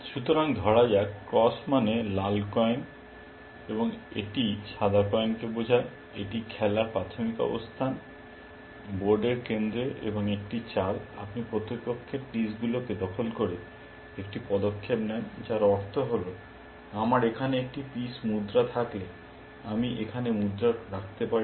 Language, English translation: Bengali, So, let say cross stands for red coin, and this stands for white coin, this is the initial position of the game, in the center of the board and a move, you a move is made by capturing opponent pieces, which means that, if I have a piece coin here, I can place the coin here